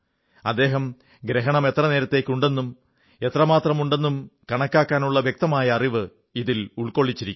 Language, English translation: Malayalam, He has also provided accurate information on how to calculate the duration and extent of the eclipse